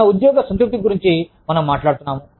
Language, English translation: Telugu, We are talking about, our job satisfaction